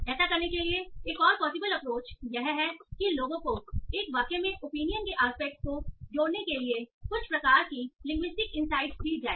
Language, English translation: Hindi, Another possible approach for doing that is use some sort of linguistic insights in how do people connect an opinion aspect in a sentence